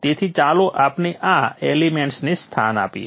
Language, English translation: Gujarati, So let us position these elements